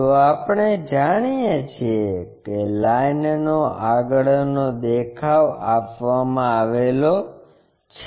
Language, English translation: Gujarati, So, what we know is front view of a line is given